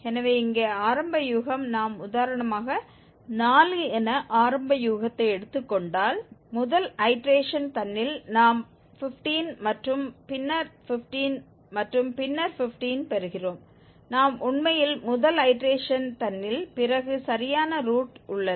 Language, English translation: Tamil, So here the initial guess, if we take initial guess as 4 for instance then after iteration 1 itself, we are getting 15 and then 15 and then 15, we are actually on the exact root just after first iteration itself